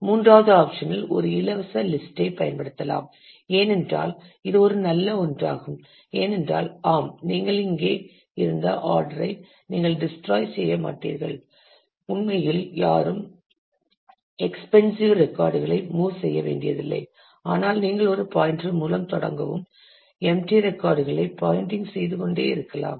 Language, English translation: Tamil, The third option could be use a free list, which is a nice one because you would you do not neither here neither you destroy the order that existed and no one have to really move records which is expensive, but you just start with a pointer and keep on pointing to the empty records